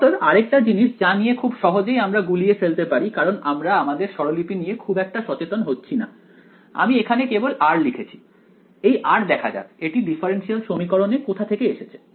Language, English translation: Bengali, So, another thing that is easy to get confused by because we were being a little not very careful with our notation, I have simply written r over here right, this r lets identify where it came from in the differential equation ok